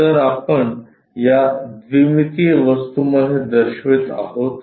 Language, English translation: Marathi, If we are showing in this two dimensional thing